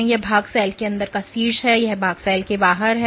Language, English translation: Hindi, So, this portion is the top of the inside of the cell, and this portion is the outside of the cell